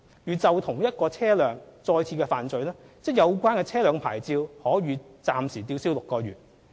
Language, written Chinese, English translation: Cantonese, 如就同一汽車再犯罪，則有關車輛的牌照可予暫時吊銷6個月。, For a subsequent offence in respect of the same motor vehicle the licence of that vehicle may be suspended for six months